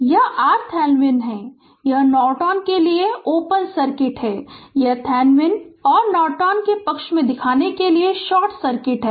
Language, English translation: Hindi, This is for Thevenin it is open circuit for Norton, it is short circuit just to show you give you a favor of Thevenin and Norton